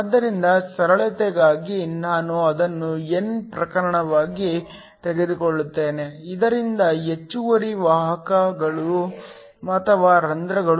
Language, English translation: Kannada, So, just for simplicity I will take it to be an n type, so that the excess carriers or holes